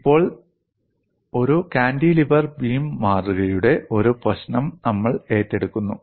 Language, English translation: Malayalam, And now, we take up a problem of a cantilever beam specimen